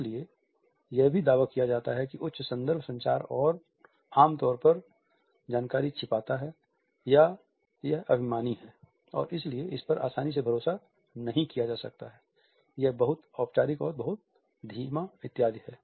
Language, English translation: Hindi, It therefore, also claims that high context communication normally hides information, it is arrogant and therefore, it cannot be trusted easily, it is too formal; too slow etcetera